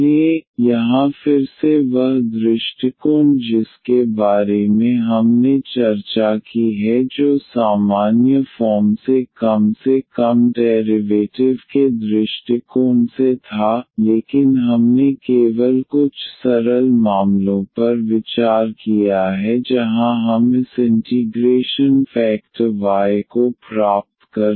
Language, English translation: Hindi, So, here again that approach which we have discussed which was rather general approach at least by the derivation, but we have considered only few simple cases where we can get this integrating factor y